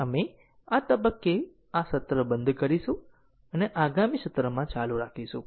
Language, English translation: Gujarati, We will stop this session at this point and we will continue in the next session